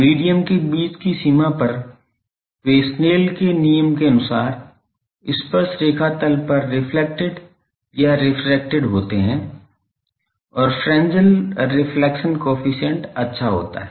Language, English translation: Hindi, At a boundary between medium they are reflected or refracted at the tangent plane according to Snell’s law and the fresnel reflection coefficient holds good